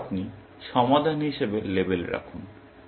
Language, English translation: Bengali, Then, you put label as solved